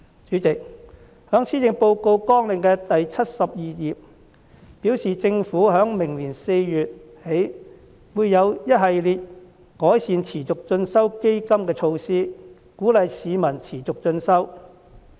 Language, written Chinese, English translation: Cantonese, 主席，政府在相關的施政綱領第72頁中表示，政府在明年4月起會有一系列改善持續進修基金的措施，鼓勵市民持續進修。, President on page 82 of the related Policy Agenda the Government says that a series of enhancement measures for the Continuing Education Fund will be implemented from April next year to encourage the public to pursue continuing learning